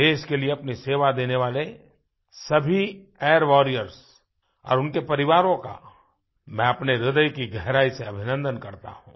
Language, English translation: Hindi, From the core of my heart, I congratulate those Air Warriors and their families who rendered service to the nation